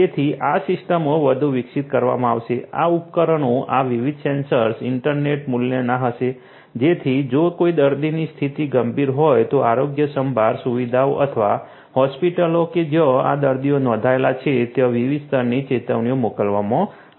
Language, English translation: Gujarati, So, these systems would be further developed, they could these devices, these different sensors would be internet work so that if any patient has a critical condition, different levels of alerts would be sent to the healthcare facilities or hospitals to which this patients are registered